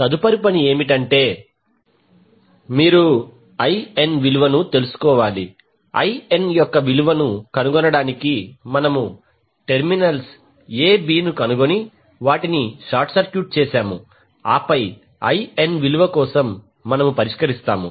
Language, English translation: Telugu, Next task is you need to find out the value of IN, to find the value of IN we short circuit the terminals a b and then we solve for the value of IN